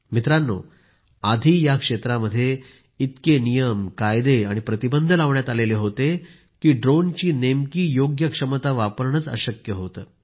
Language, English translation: Marathi, Friends, earlier there were so many rules, laws and restrictions in this sector that it was not possible to unlock the real capabilities of a drone